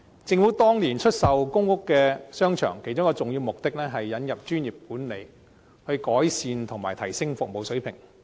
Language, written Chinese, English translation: Cantonese, 政府當年出售公屋商場，其中一個重要目的是引入專業管理，以改善及提升服務水平。, Back then when the Government sold the shopping arcades in public housing estates one of the important purposes was to introduce professional management to improve and enhance the service standard